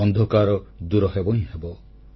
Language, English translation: Odia, The darkness shall be dispelled